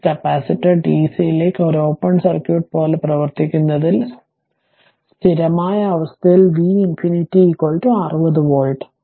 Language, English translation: Malayalam, Now, since the capacitor acts like an open circuit to dc, at the steady state V infinity is equal to 60 volt